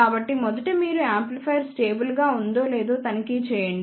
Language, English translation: Telugu, So, first you check whether the amplifier is stable or not